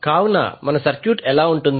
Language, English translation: Telugu, So, how our circuit will look like